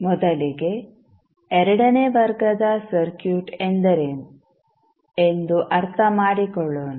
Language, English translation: Kannada, So, let us first understand what we mean by second order circuit